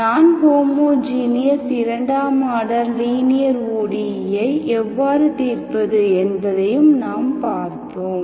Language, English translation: Tamil, And we also have seen how to, how to solve non homogeneous second order linear OD